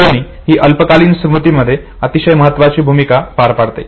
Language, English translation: Marathi, Now two things are very interesting in short term memory